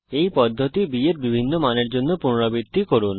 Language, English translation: Bengali, Repeat this process for different b values